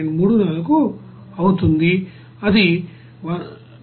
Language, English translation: Telugu, 34 that will come 1